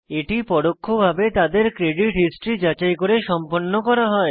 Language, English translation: Bengali, This is done by indirectly tracking their credit history